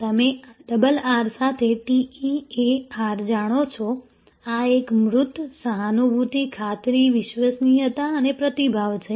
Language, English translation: Gujarati, You know TEAR with double R, this is a tangible, empathy, assurance, reliability and responsiveness